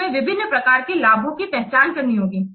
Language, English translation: Hindi, Then we have to similarly identify the different types of benefits